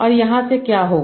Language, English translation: Hindi, So what would happen from here